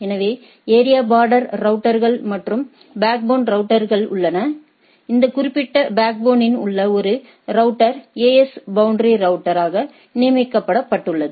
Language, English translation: Tamil, So, area border routers, and there are backbone routers, one router in this particular backbone is designated as AS boundary routers, right